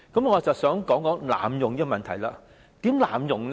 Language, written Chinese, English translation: Cantonese, 我正是要討論這問題，如何濫用呢？, This is precisely what I am going to discuss . How will the provision be abuse?